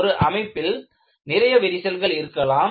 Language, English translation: Tamil, You will have many cracks in the structure